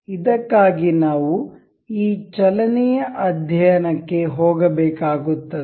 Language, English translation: Kannada, For this, we will have to go this motion study